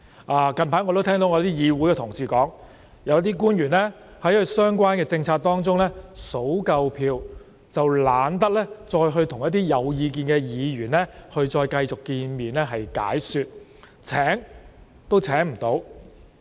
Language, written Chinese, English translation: Cantonese, 我近來也聽到議會的同事表示，有些官員在其相關的政策中，點算足夠票數後便懶得與有意見的議員繼續會面進行解說，連邀約他們也未能成功。, Recently I have heard some of my colleagues in the legislature say that some officials did not bother to meet with and explain to those Members who wanted to express their views on the relevant policies as long as they had secured sufficient votes to support the relevant policy proposals . As a result Members even failed to invite these officials to attend meetings